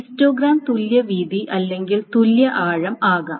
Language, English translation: Malayalam, So the histogram can be either equi width or an equidepth